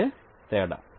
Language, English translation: Telugu, this is what is the difference